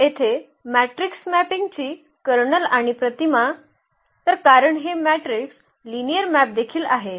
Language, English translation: Marathi, So, here the kernel and image of the matrix mapping; so, because this matrix are also linear maps